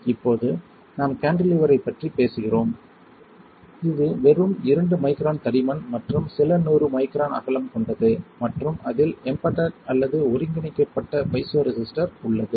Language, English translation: Tamil, Now we are talking about cantilever which has a thickness of about just 2 microns and with a width of about few hundred microns and there is a piezoresistor in embedded or integrated on to it